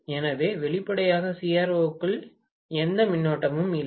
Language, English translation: Tamil, So, obviously there is hardly any current going into the CRO